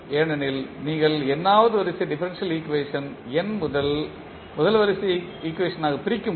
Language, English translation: Tamil, So, you can convert that nth order differential equation into n first order equations